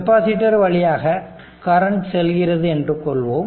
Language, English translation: Tamil, Therefore, current appears to flow through the capacitor rise